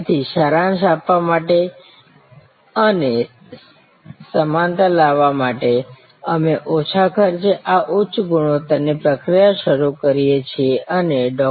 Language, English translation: Gujarati, So, to summarize and bring the parity, we start with this high quality process at low cost and it was the insight of Dr